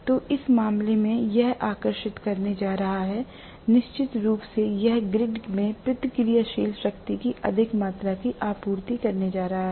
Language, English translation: Hindi, So, in that case, it is going to draw, definitely it is going to rather supply excess amount of reactive power back to the grid